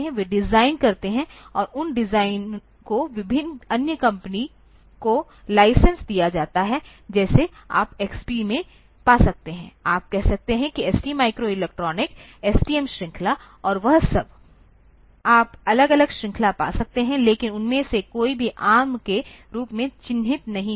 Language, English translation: Hindi, They do the design and that design is licensed to various other companies, like you can find in XP, you can find say ST microelectronics STM series and all that, you can find different series, but none of them will be marked as ARM